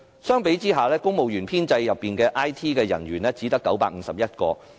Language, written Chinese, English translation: Cantonese, 相比下，公務員編制內的 IT 人員只有951個。, In comparison there were only 951 IT staff in the civil service establishment